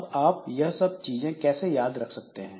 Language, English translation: Hindi, Now, how do you remember all these things